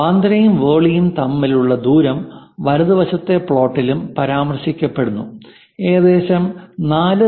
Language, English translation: Malayalam, And the distance between Bandra and Worli is also mentioned on the right side plot; it is around 4